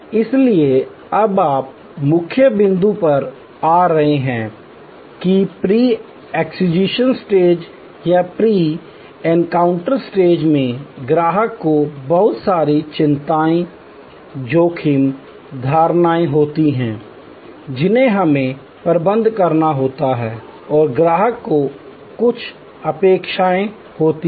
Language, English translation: Hindi, So, now you are coming to the key point that in the pre acquisition stage or the pre encounters stage, customer has lot of worries, risk perceptions which we have to manage and customer has certain expectations